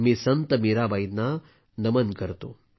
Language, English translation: Marathi, I bow to Sant Mirabai